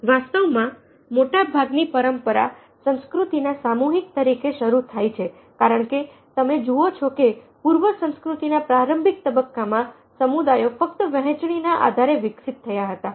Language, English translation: Gujarati, in fact, most traditional culture start of collectivistic culture because you see that in the early phases of pre civilization, communities involved only on the basis of sharing